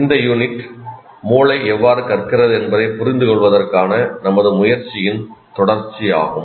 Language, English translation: Tamil, And in the, this unit is continuation of the, our effort to understand how brains learn